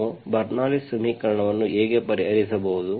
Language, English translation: Kannada, this is how we can solve the Bernoulli s equation